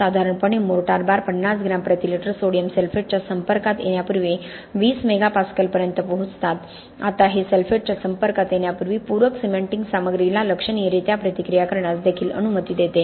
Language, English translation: Marathi, Expansion is generally measured for 6 to 12 months, generally mortar bars reach 20 mega pascal before exposure to 50 gram per litre sodium sulphate, now this also allows supplementary cementing materials to react significantly before it is exposed to sulphate